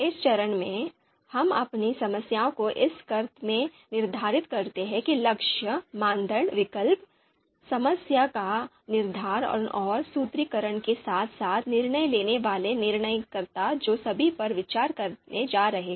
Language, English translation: Hindi, So in this step, we structure our problem in the sense the goal, the criteria to be considered, and the alternatives to be evaluated and the framing and formulation of the problem and you know decision makers who are going to respond respond